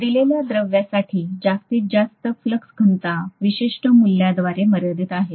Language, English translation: Marathi, The maximum flux density for a given material is limited by certain value